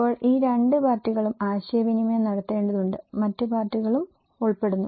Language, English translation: Malayalam, Now, these two parties has to interact and there are other parties are also involved